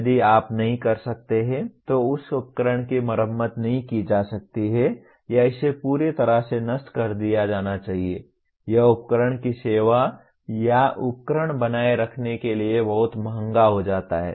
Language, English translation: Hindi, If you cannot, that equipment cannot be repaired or it has to be so totally dismantled it becomes very expensive to service the equipment or maintain the equipment